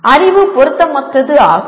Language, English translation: Tamil, The knowledge is irrelevant